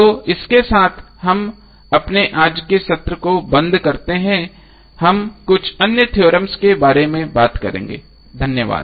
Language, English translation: Hindi, So with this week close our today’s session next session we will talk about few other theorems thank you